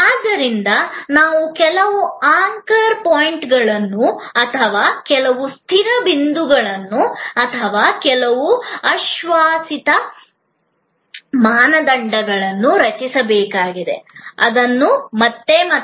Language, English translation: Kannada, So, we have to create some anchor points or some fixed points or some assured standards, which can be repeated again and again